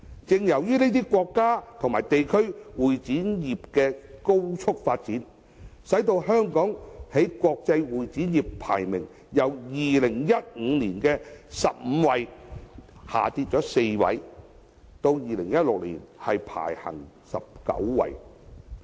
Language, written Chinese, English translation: Cantonese, 由於這些國家和地區會展業的高速發展，香港在國際會展業的排名已由2015年的第十五位，下跌4位至2016年的第十九位。, As a result of the rapid growth of the CE industry in these countries and places the ranking of Hong Kong in the international CE industry has dropped four places from 15 in 2015 to 19 in 2016